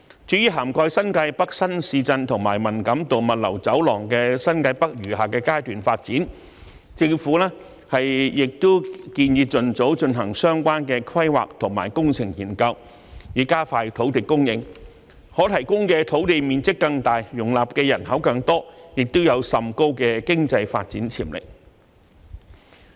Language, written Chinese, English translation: Cantonese, 至於涵蓋新界北新市鎮和文錦渡物流走廊的新界北餘下階段發展，政府亦建議盡早進行相關規劃和工程研究，以加快土地供應，可提供的土地面積更大，容納的人口更多，亦有甚高的經濟發展潛力。, As for the remaining phases of development of New Territories North which covers the new towns of New Territories North and the Man Kam To Logistics Corridor the Government has also recommended that relevant planning and engineering studies be conducted as soon as possible to expedite the supply of land . This will provide an even larger area for accommodating a bigger population and has great economic development potential